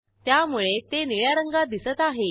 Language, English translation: Marathi, So they appear in blue color